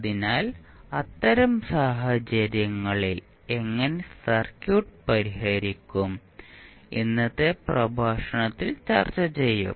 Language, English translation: Malayalam, So, in those cases how we will solve the circuit we will discuss in today’s lecture